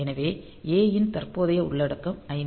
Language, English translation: Tamil, So, dp a is current content is 5